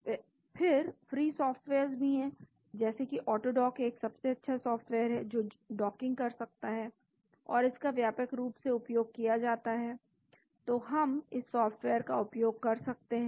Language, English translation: Hindi, But there are free softwares like AutoDock is one of the best software which can do the docking and it is widely used so we can use this software